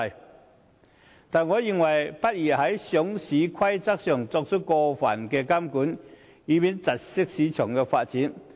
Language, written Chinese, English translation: Cantonese, 不過，我認為在上市規則上不宜作出過分監管，以免窒礙市場發展。, Nevertheless I consider it inadvisable to impose excessive regulation on the listing rules lest the development of the market will be impeded